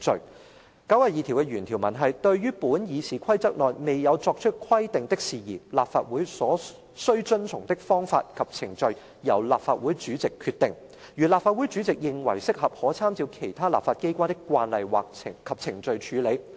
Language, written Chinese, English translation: Cantonese, 第92條的原條文是"對於本議事規則內未有作出規定的事宜，立法會所須遵循的方式及程序由立法會主席決定；如立法會主席認為適合，可參照其他立法機關的慣例及程序處理。, The original text of RoP 92 reads In any matter not provided for in these Rules of Procedure the practice and procedure to be followed in the Council shall be such as may be decided by the President who may if he thinks fit be guided by the practice and procedure of other legislatures